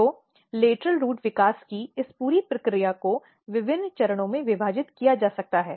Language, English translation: Hindi, So, this entire process of lateral root development can be divided into different stages